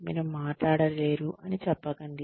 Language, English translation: Telugu, You cannot talk